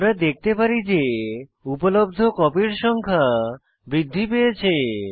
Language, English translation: Bengali, We can see that the number of available copies has been incremented